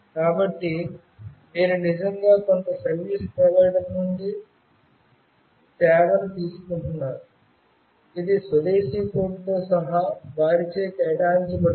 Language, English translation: Telugu, So, you are actually taking the service from some service provider, it is assigned by them including home country code